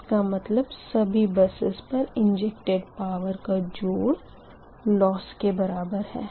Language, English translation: Hindi, that means that some of injected power at all buses will give you the power loss